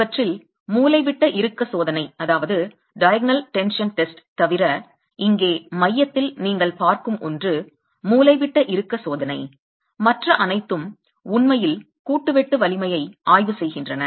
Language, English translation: Tamil, Of these, except for the diagonal tension test, the one that you see in the center here, the diagonal tension test, all the others are actually examining the joint shear strength